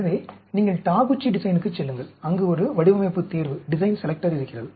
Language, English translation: Tamil, So, Taguchi design, you go, there is a design selector is there